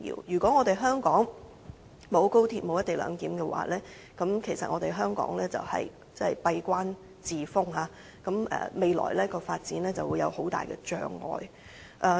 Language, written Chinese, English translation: Cantonese, 如果香港沒有高鐵和"一地兩檢"，香港將會閉關自封，未來的發展就會有很大的障礙。, Without XRL and the co - location arrangement Hong Kong will stick to the old rut creating a major obstacle for its future development